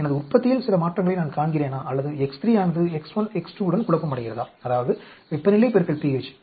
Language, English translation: Tamil, I am seeing some changes in my yield or is it because of the confounding of X 3 with X 1, X 2 which is temperature p into pH